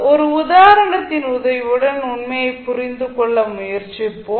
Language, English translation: Tamil, We will try to understand the fact with the help of an example, so what we will do